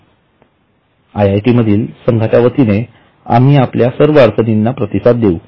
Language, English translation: Marathi, So, the team from IITB would like to respond to all your queries